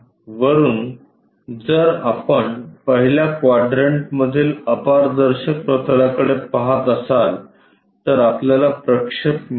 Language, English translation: Marathi, From top if we are looking at it in the first quadrant on the opaque plane we will have projection